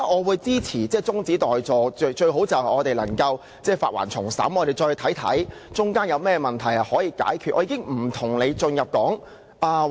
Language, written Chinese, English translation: Cantonese, 我支持中止待續議案，最好能將《條例草案》撤回並重新審議，讓議員檢視當中可以解決的問題。, I support the adjournment motion . The Bill should preferably be withdrawn for reconsideration so that Members can examine the problems which can be resolved